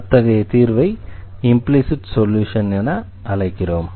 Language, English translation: Tamil, So, we call such solution as implicit solution